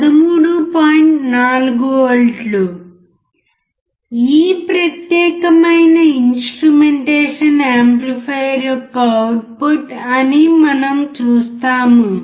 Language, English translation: Telugu, 4 volts is the output of this particular instrumentation amplifier